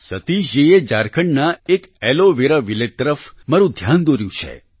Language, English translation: Gujarati, Satish ji has drawn my attention to an Aloe Vera Village in Jharkhand